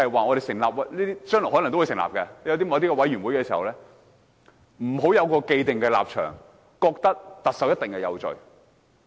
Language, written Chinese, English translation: Cantonese, 我希望未來成立任何專責委員會時，議員不要有既定立場，覺得特首一定有罪。, I hope that if we form any select committee in the future Members will not take the established stand that the Chief Executive must be guilty